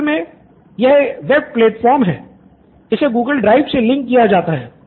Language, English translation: Hindi, So this is on web platform right, it can be linked to google drive